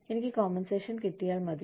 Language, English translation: Malayalam, Am I being compensated, enough